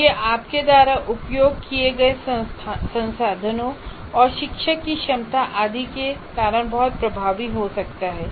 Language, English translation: Hindi, And it can be very effective because of the resources that you have used and the competence of the teacher and so on